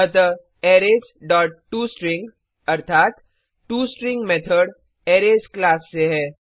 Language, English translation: Hindi, So Arrays dot toString means toString method from the Arrays class